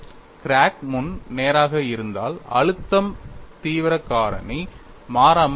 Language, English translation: Tamil, If the crack front is straight then the stress intensity factor remains constant on that front